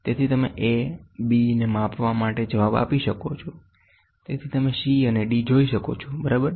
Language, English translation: Gujarati, So, you can reticle for measuring a b; so, you can see c and d, ok